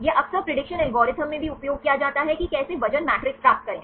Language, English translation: Hindi, This is also frequently used in the prediction algorithms, how to get the weight matrix